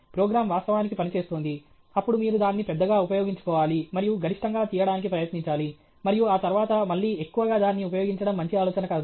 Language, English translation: Telugu, The program is actually working; then you should capitalize on that, and try to extract maximum, and after that, again milking it dry is not a good idea